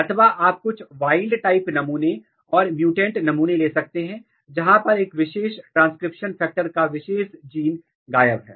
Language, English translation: Hindi, Or you can take some wild type sample and the mutant sample, were a particular transcription factor a particular gene is missing